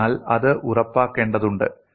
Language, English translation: Malayalam, So that has to be ensured